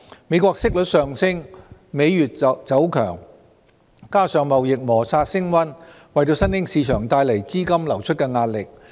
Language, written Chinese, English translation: Cantonese, 美國息率上升，美元走強，加上貿易摩擦升溫，為新興市場帶來資金流出的壓力。, Interest rate hikes in the United States and a stronger US dollar coupled with escalating trade tensions have brought pressure of outflow of funds to bear on emerging markets